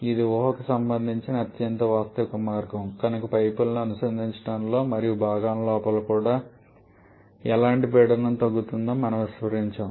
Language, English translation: Telugu, Because that is the most realistic way of assuming this, we have neglected any kind of pressure drop in connecting pipes and also inside the components